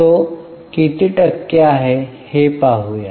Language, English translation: Marathi, Shall we convert it into percent